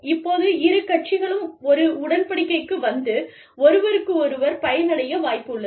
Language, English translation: Tamil, Now, when there is a chance, that both parties can come to an agreement, and benefit each other